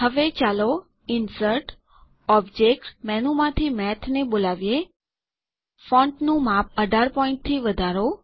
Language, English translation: Gujarati, Now, let us call Math from the Insert Object menu increase the font size to 18 point and change the alignment to the left